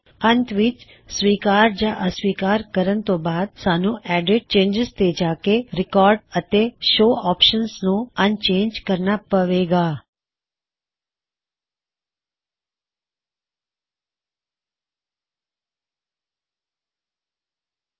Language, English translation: Punjabi, Finally, after accepting or rejecting changes, we should go to EDIT gtgt CHANGES and uncheck Record and Show options